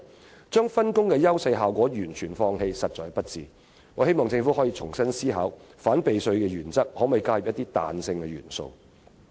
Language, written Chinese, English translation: Cantonese, 這種把分工的優勢效果完全放棄的做法實在不智，我希望政府可重新思考反避稅的原則，看看可否加入彈性元素。, It is simply unwise to forgo the advantages and benefits of division of labour . I hope the Government can reconsider its principle of countering tax avoidance and see if it is possible to add the flexibility element